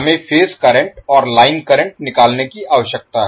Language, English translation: Hindi, We need to calculate the phase currents and line currents